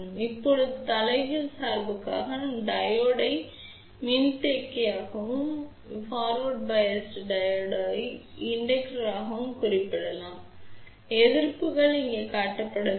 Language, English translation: Tamil, Now, for reverse bias we can represent the Diode as capacitance and for forward bias we can represent the Diode as inductor, resistances are not shown over here just to show you what this configuration looks like